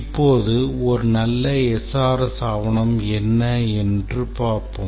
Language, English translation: Tamil, Now let's see how to write the SRS document